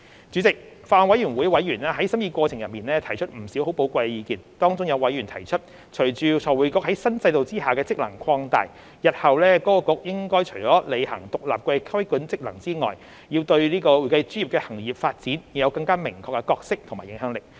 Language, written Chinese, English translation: Cantonese, 主席，法案委員會委員在審議過程中提出不少寶貴意見，當中有委員提出，隨着財匯局在新制度下的職能擴大，日後該局除了履行獨立的規管職能外，對會計專業的行業發展應有更明確的角色及影響力。, President during the scrutiny members of the Bills Committee have put forward a lot of valuable views . Among them some members have pointed out that with the expansion of FRCs functions under the new regime FRC should have a clearer role and influence on the development of the accounting profession apart from performing its independent regulatory functions in the future